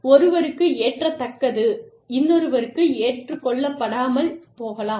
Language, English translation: Tamil, What is acceptable to one, may not be acceptable to another